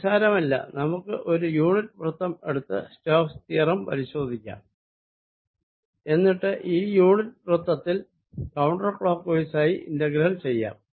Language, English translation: Malayalam, none the less, let us check stokes theorem by taking a unit circle and calculate the integral over this unit circle, going counter clockwise